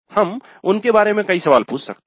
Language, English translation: Hindi, We can ask several questions regarding them